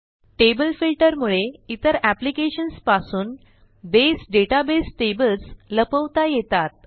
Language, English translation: Marathi, Table Filter feature allows us to hide tables in a Base database from other applications